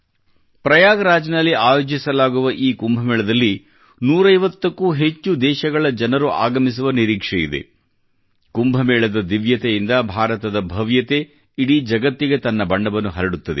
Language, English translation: Kannada, The festival of Kumbh, to be organized in Prayagraj, is expected to have footfalls from more than 150 countries; the divinity emanating from Kumbhwill spread the colours of India's splendour throughout the world